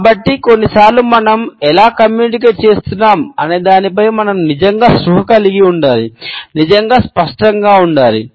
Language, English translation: Telugu, And so, sometimes we have to be really conscious of how are we communicating and are we really being clear